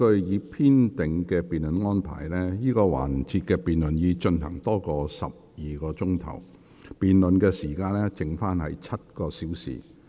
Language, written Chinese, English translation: Cantonese, 我提醒委員，根據已編定的辯論安排，這個環節的辯論已進行超過12小時，辯論時間尚餘7小時。, I remind Members that according to the scheduled arrangements for the debate this debate session has already been going on for more than 12 hours and there are about seven hours left